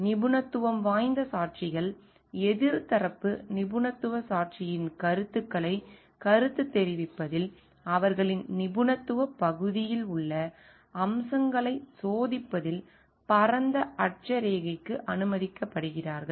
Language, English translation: Tamil, Expert witnesses are permitted to a wider latitude in testing on facets in their area of expertise in commenting on the views of the opposite side expert witness